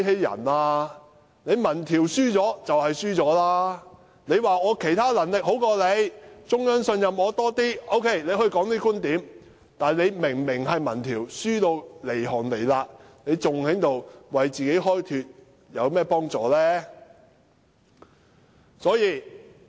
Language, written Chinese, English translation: Cantonese, 如果她說自己其他能力比較高，並得到中央的信任，這些觀點尚可說得通；但明明民調顯示落後一大截，還要為自己開脫，對其民望毫無幫助。, She should concede her defeat in the polls . She may still justify herself by suggesting that she is more capable in other aspects and she has got the trust of the Central Authorities . However given that she is lagging far behind in the polls it will not help to boost her popularity by finding excuses to defend herself